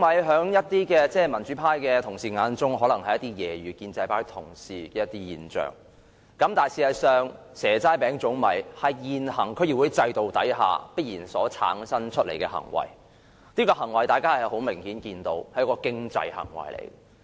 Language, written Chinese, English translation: Cantonese, 在一些民主派同事的眼中，"蛇齋餅粽米"可能只是用來揶揄建制派同事的現象，但事實上，"蛇齋餅粽米"是現行區議會制度下所必然產生的行為，而這種行為明顯是經濟行為。, And for some members in the democratic camp the offer of seasonal delicacies by the pro - establishment camp may just be an object of ridicule however such offers are something inevitable under the existing DC system and obviously this is some sort of an economic behaviour